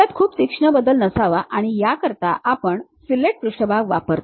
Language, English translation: Marathi, It should not be sharp variation, for that purpose also we use fillet surfaces